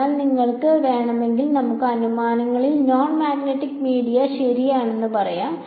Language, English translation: Malayalam, So, if you want we can say in assumptions non magnetic media ok